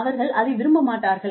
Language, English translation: Tamil, They will not like it